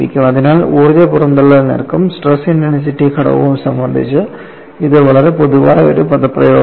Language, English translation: Malayalam, So, this is a very generic expression in relating energy release rate and stress intensity factor